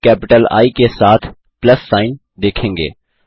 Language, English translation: Hindi, You will see a plus sign with a capital I